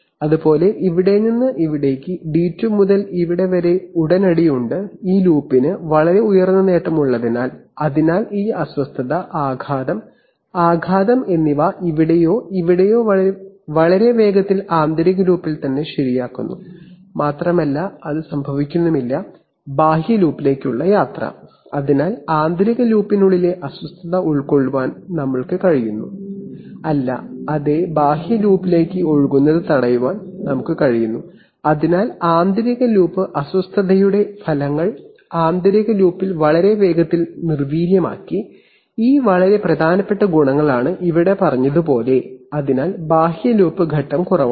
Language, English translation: Malayalam, Similarly from here to here is from d2 to the here is immediate and since this loop has very high gain, so therefore this disturbance, the affect of, disturbance either here or here gets very quickly corrected in the inner loop itself and it does not travel to the outer loop, so we have been able to contain the disturbance within the inner loop and we are not, yes, we are we are able to stop it from spilling over to the outer loop, so the effects of inner loop disturbances are neutralized very fast in the inner loop, these are very significant advantages and as is said here, so the outer loop phase is low